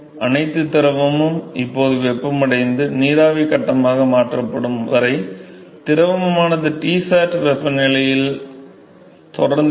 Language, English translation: Tamil, Until all the fluid now heated and converted into vapor phase, the fluid will continue to be in at Tsat temperature